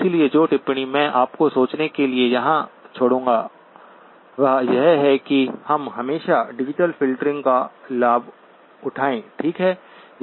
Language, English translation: Hindi, So the comment that I would leave here for you to think about is that we always take advantage of digital filtering, okay